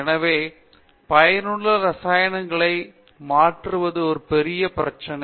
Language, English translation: Tamil, Therefore, the conversion to useful chemicals is a big problem